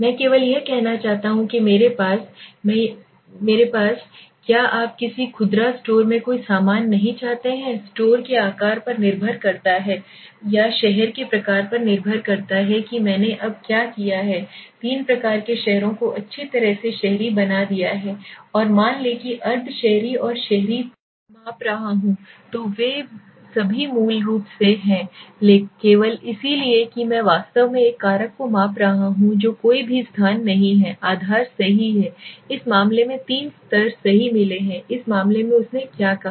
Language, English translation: Hindi, I just want to say that I have I want to seek you whether the states of no goods in a retail store depends on the size of the store or depends on the type of the city now what I have done now I have taken three types of cities well urban and let s say semi urban and urban okay three now the question is when I am measuring this three well semi urban and urban they are all basically on the basis only right so no places whatever so I am actually measuring one factor is there which has got three levels right so in this case what did he say